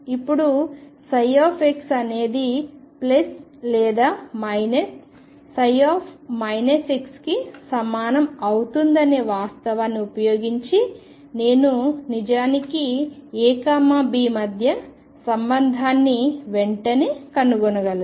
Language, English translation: Telugu, Now using the fact that psi x is going to be equal to plus or minus psi minus x I can actually find the relationship between a B immediately